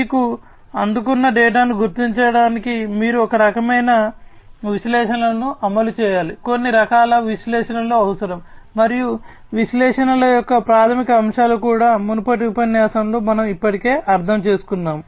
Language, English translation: Telugu, And you need to run some kind of analytics to mind the data that is received to you need some kind of analytics, and basics of analytics also we have already understood in a previous lecture